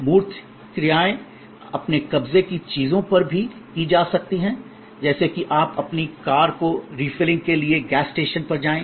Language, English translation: Hindi, Tangible actions can also be performed on possessions like; you take your car to the gas station for refilling